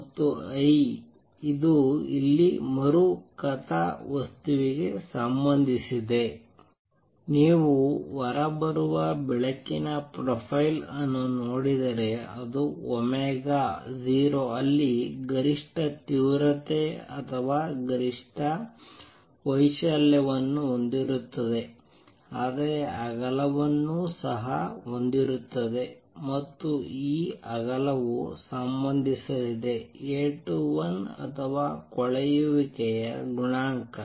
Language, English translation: Kannada, And this is also related to which I re plot here that if you look at the profile of light coming out it will have maximum intensity or maximum amplitude at omega 0, but would also have a width and this width is going to be related to A 21 or the coefficient of decay